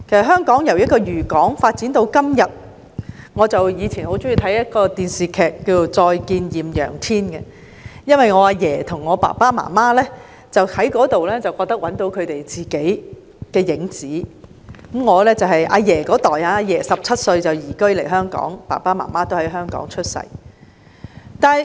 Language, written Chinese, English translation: Cantonese, 香港由一個漁港發展至今天......我以前很喜歡收看一套電視劇，叫"再見艷陽天"，因為我的爺爺和父母從這一齣劇集中找到屬於他們的影子；我的爺爺17歲便移居來港，而我的父母在港出生。, Hong Kong has developed from a fishing port to todays I used to enjoy watching a television drama called The Good Old Days because my grandfather and my parents found their own shadows in this drama . My grandfather moved to Hong Kong at the young age of 17 and my parents were born in Hong Kong